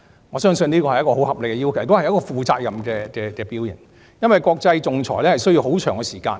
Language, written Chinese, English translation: Cantonese, 我相信這是一個十分合理的要求，也是負責任的表現，因為國際仲裁需要很長時間。, I believe this request was very reasonable and responsible because international arbitration can take a long time